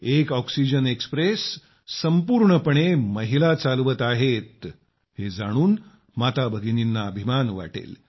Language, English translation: Marathi, Mothers and sisters would be proud to hear that one oxygen express is being run fully by women